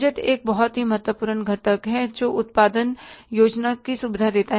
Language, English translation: Hindi, Budgets is a very important component which facilitates the production planning